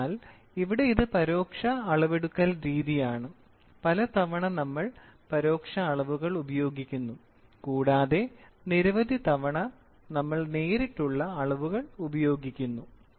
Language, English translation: Malayalam, So, here it is indirect measurement; many a times we use indirect measurements and we many a times we use direct measurements